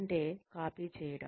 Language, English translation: Telugu, Which means, copying